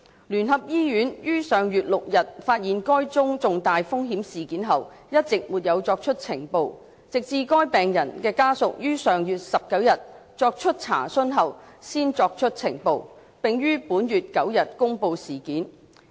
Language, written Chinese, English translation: Cantonese, 聯合醫院於上月6日發現該宗重大風險事件後一直沒有作出呈報，直至該病人的家屬於上月19日作出查詢後才作出呈報，並於本月9日公布事件。, UCH had all along not reported the event since uncovering this serious untoward event on the 6 of last month and it did so only after the patients family made enquiries on the 19 of last month . UCH then made public the event on the 9 of this month